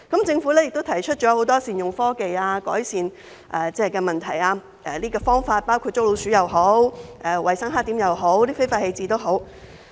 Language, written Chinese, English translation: Cantonese, 政府也提出了很多善用科技、改善問題的方法，包括在捉老鼠、處理衞生黑點或非法棄置方面。, The Government has put forth many proposals to make good use of technology and alleviate the problem including catching rats dealing with hygiene blackspots or illegal waste disposal